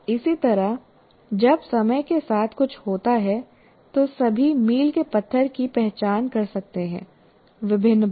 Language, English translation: Hindi, Similarly, when something happens over time, one can identify all the milestone as of at various times